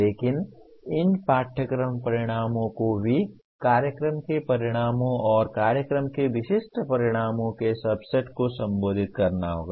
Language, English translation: Hindi, But these course outcomes also have to will be addressing a subset of program outcomes and program specific outcomes